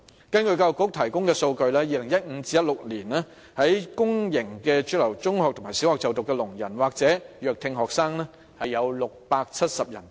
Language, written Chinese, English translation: Cantonese, 根據教育局提供的數據 ，2015 年至2016年，在公營主流中學和小學就讀的聾人或弱聽學生多達670人。, According to the figures provided by the Education Bureau from 2015 to 2016 as many as 670 deaf students or students with hearing impairment were studying in publicly - funded mainstream secondary and primary schools